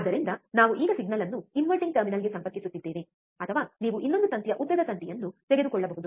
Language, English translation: Kannada, So, we are now connecting the signal to the inverting terminal, or you can take another wire longer wire